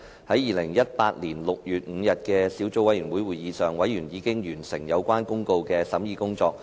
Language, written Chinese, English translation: Cantonese, 在2018年6月5日的小組委員會會議上，委員已完成相關法律公告的審議工作。, At the meeting of the Subcommittee on 5 June 2018 members already completed the scrutiny of the relevant Legal Notices